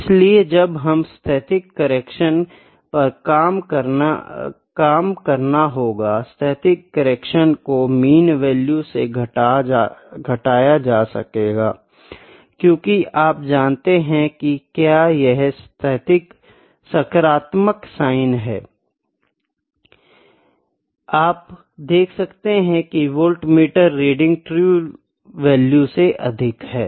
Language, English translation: Hindi, So, when we need to work on the static correction static correction is subtracted from the mean value, because you know if it is a positive sign it is subtracted, you can see that voltmeter reading is greater than the true value